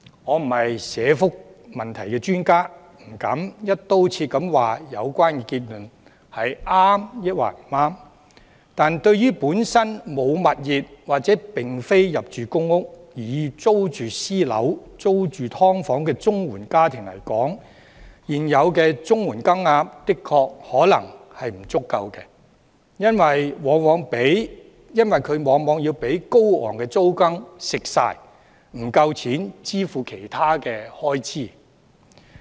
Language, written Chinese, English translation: Cantonese, 我並非社福問題專家，不敢"一刀切"地指有關結論對與否，但對於本身沒有物業或並非入住公屋，而要租住私樓或"劏房"的綜援家庭來說，現有綜援金額確實可能不足夠，因為綜援往往會被高昂的租金蠶食，不夠錢支付其他開支。, I am not an expert on social welfare issues so I dare not comment whether this conclusion is right or wrong . Indeed for CSSA households living in private or subdivided rental units who do not own any property or are not allocated public housing the current CSSA rates may really be insufficient because the high rentals have taken up a large portion of their CSSA payments and as a result they do not have enough money to meet other expenses